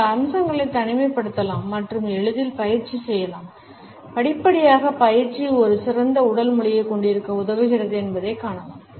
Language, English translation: Tamil, These aspects can be singled out and can be practiced easily and gradually we find that practice enables us to have a better body language